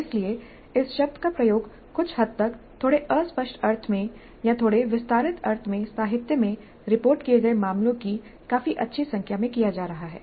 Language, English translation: Hindi, So, the term is being used somewhat in a slightly vague sense or in a slightly expanded sense in quite a good number of cases reported in the literature